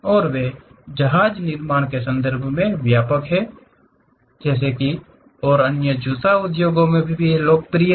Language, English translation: Hindi, And, they are widespread in terms of shipbuilding and the other one is shoe industries also is quite popular